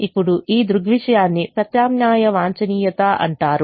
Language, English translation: Telugu, now this phenomenon is called alternate optimum